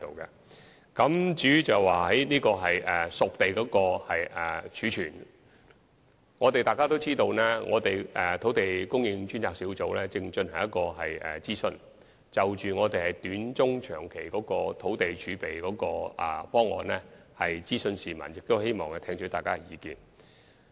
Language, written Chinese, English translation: Cantonese, 至於熟地儲備方面，眾所周知，土地供應專責小組正在進行諮詢，就短、中、長期的土地供應選項諮詢市民，並希望聽取大家的意見。, As for a reserve for spade - ready sites we all know that the Task Force on Land Supply is conducting a public consultation on various land supply options in the short medium and long term with a view to gauging public views and receiving public opinions